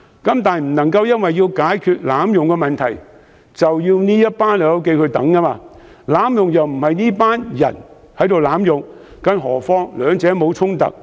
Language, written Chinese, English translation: Cantonese, 但是，政府不能因為要解決濫用"綠卡"的問題，便要"老友記"苦等，他們並非濫用"綠卡"的人，更何況兩者並無衝突。, Nevertheless the Government should not keep the old friends waiting until the abuse problem can be solved because first of all they are not the ones who abuse the use of green cards and second the two initiatives do not contradict one another